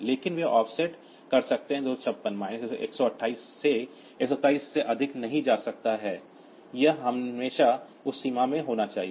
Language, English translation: Hindi, So, they are offset cannot be more than 256 minus 128 plus 127 it always has to be in that range